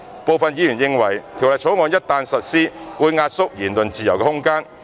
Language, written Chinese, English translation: Cantonese, 部分議員認為《條例草案》一旦實施，會壓縮言論自由的空間。, Some Members hold that the freedom of speech will be compromised upon implementation of the Bill